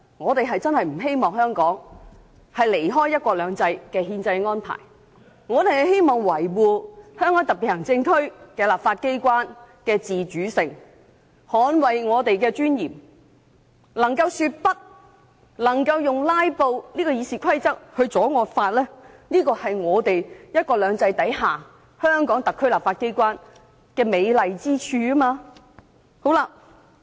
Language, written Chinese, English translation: Cantonese, 我們真的不希望香港偏離"一國兩制"的憲制安排，希望維護香港特別行政區立法機關的自主性，捍衞我們的尊嚴，能夠說不，能夠在《議事規則》容許下使用"拉布"手段阻止惡法的通過，這是"一國兩制"下香港特別行政區立法機關的美麗之處。, We really do not want to see Hong Kong deviating from the constitutional arrangements of one country two systems . We wish to maintain the autonomy of the legislature of the Hong Kong Special Administrative Region HKSAR we want to safeguard our dignity so that we can say no and that we are allowed under the Rules of Procedure to employ the tactic of filibustering to stop the passage of a draconian law . This is a beautiful side of the legislature of HKSAR under the principle of one country two systems